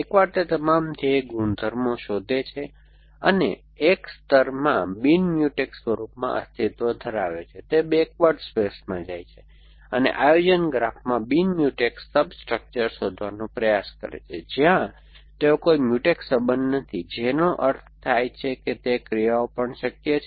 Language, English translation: Gujarati, Once it finds all the goal properties, it exists in a non Mutex form in a layer it goes to the backward space tries to search for a non Mutex substructure in the planning graph where they are no Mutex relations which means that those actions are possible even if they are in parallel